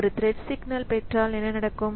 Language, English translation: Tamil, So, what will happen if a thread gets a signal